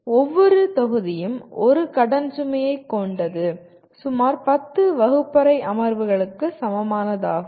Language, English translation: Tamil, Each module constitute one credit load which is approximately equal to, equivalent to about 10 classroom sessions